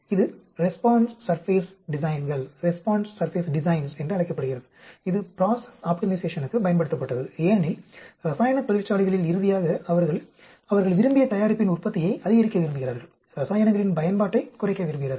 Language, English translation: Tamil, This is called response surface designs, which was used for process optimization because ultimately in chemical industries, they want to maximize the production of the desired product, minimize the usage of chemicals